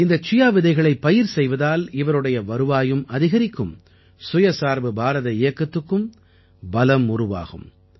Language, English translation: Tamil, Cultivation of Chia seeds will also increase his income and will help in the selfreliant India campaign too